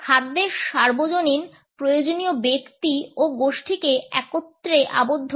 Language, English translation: Bengali, The universal need for food ties individuals and groups together